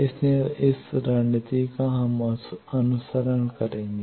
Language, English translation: Hindi, So, this strategy we will follow